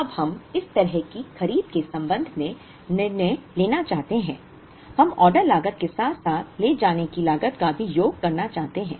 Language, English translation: Hindi, Now, we want to make decisions regarding the purchase such that, we wish to optimize or minimize the sum of the order cost as well as the carrying cost